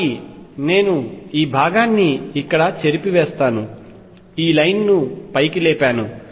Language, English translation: Telugu, So, I will erase this portion here, raised this line up